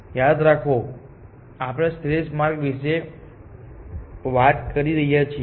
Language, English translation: Gujarati, Remember that we are talking of optimal path